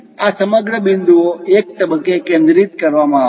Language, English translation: Gujarati, These entire points will be focused at one point